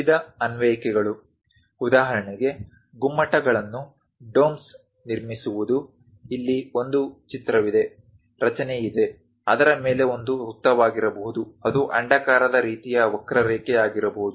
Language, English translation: Kannada, The variety of applications, for example, like building domes; here there is a picture, a construction, top of that it might be circle, it might be elliptical kind of curve